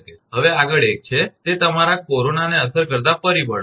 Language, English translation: Gujarati, Next one is, that is your factors affecting the corona